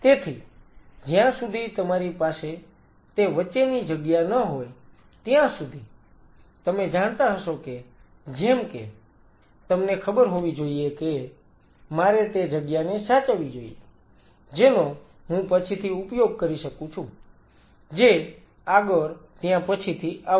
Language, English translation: Gujarati, So, unless you have that buffer space you will kind of you know realize that like, I should have you know save that space I could have utilized it later that comes the next